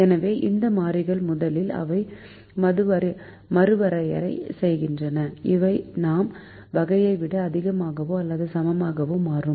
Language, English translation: Tamil, so we first redefine these variables such that they become greater than or equal to type